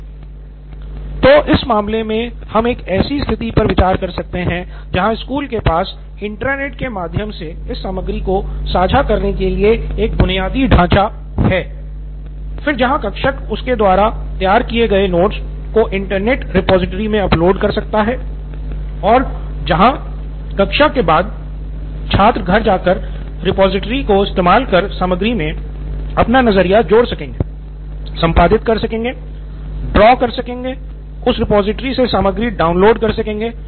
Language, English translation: Hindi, So, in this case we can consider a situation where school has an infrastructure for sharing this content through an Intranet, then where teach can upload her preparatory notes into that, into an Internet repository and students after class can go home access that repository, add, edit, prepare or draw our content, download content from that repository